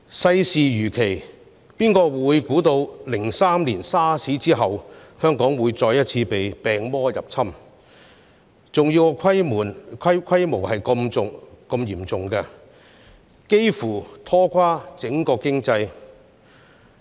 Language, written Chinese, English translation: Cantonese, 世事如棋，誰能預知2003年 SARS 一役後，香港會再次被病毒入侵，而且爆發的情況竟是如此嚴重，幾乎拖垮整個經濟？, Well who could have been able to predict that Hong Kong would be invaded by virus once again after the SARS outbreak in 2003 and that the COVID - 19 outbreak would be severe enough to bring down almost the entire economy?